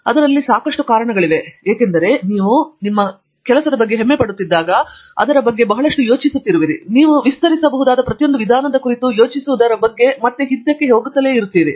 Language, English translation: Kannada, The reason is, there is lots of reasons for it because when you are proud of that you keep thinking about it a lot, you keep going back and back about thinking about every single way in which it can be extended and all that builds up on this small result of yours and you get a bigger result